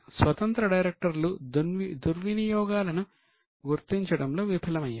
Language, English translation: Telugu, Independent directors failed to detect malpractices